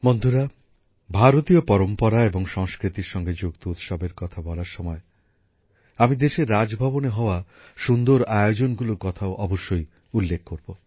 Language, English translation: Bengali, Friends, while discussing the festivals related to Indian tradition and culture, I must also mention the interesting events held in the Raj Bhavans of the country